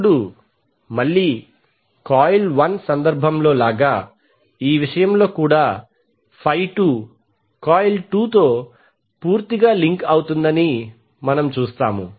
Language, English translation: Telugu, Now again as was in the case of coil 1 in this case also we will see y2 will link completely to the coil 2